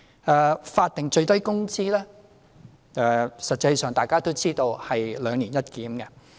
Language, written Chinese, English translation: Cantonese, 在法定最低工資方面，實際上大家都知道是"兩年一檢"。, In terms of statutory minimum wage we actually know that it is subject to a biannual review